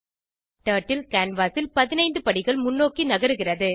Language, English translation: Tamil, Turtle moves 15 steps forward on the canvas